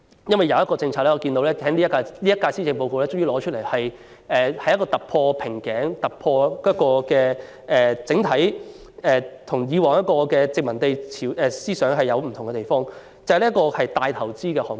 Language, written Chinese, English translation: Cantonese, 正如在今年的施政報告中，政府終於提出一項突破瓶頸的政策，一反它沿襲殖民地管理模式的作風，那就是"明日大嶼"這個大型投資項目。, Just like the Policy Address this year the Government has finally formulated a policy which can break through the bottleneck breaking away from its past practice of following the management pattern adopted by the colonial government and that is the Lantau Tomorrow a mega investment project